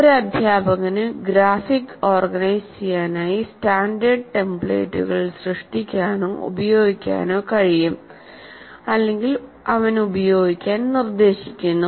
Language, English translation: Malayalam, A teacher can generate or make use of standard templates for the graphic organizers he proposes to use and ask the students to use them to save time